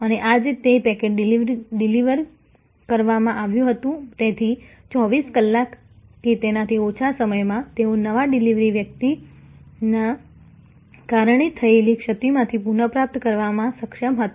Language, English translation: Gujarati, And today that package was delivered, so within 24 hours or less, they were able to recover from lapse caused by a new delivery person